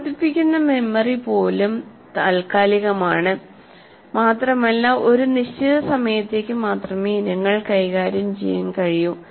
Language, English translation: Malayalam, And even working memory is temporary and can deal with items only for a limited time